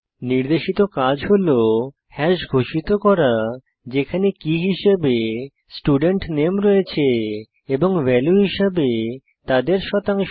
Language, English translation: Bengali, Here is assignment for you Declare hash having student name as key And his/her percentage as the value